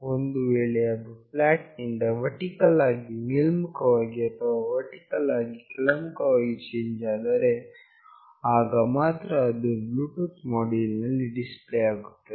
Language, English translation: Kannada, If there is a change from flat to vertically up or vertically down, then only it will get displayed in the Bluetooth module